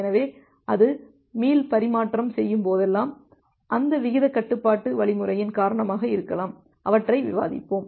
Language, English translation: Tamil, So, whenever it is doing the retransmission, may be because of that rate control algorithm which we will discuss in details